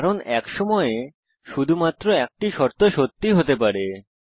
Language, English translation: Bengali, It is because only one condition can be true at a time